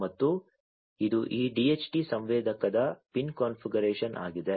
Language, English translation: Kannada, And this is the pin configuration of this DHT sensor